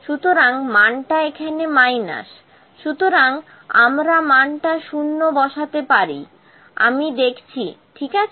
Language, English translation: Bengali, So, the value is minus here, so we can put the value 0 let me see, ok